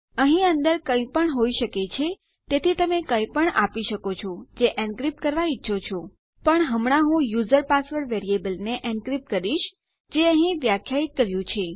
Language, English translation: Gujarati, Anything can go in here so you can give anything that you want to encrypt in here But for now Ill encrypt my user password variable that we defined up here